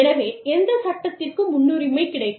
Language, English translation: Tamil, So, which law will take precedence